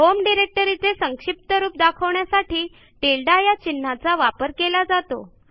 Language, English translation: Marathi, The tilde(~) character is a shorthand for the home directory